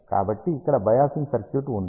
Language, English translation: Telugu, So, here is the biasing circuit